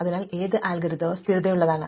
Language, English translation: Malayalam, So, which of our algorithms are stable